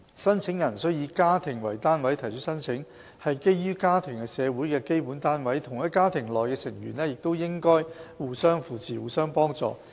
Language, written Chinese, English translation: Cantonese, 申請人須以家庭為單位提出申請，是基於家庭是社會的基本單位，同一家庭內的成員應互相扶持，互相幫助。, Applications should be submitted on a household basis because families constitute the core units of a community hence members of the same family should render assistance and support to each other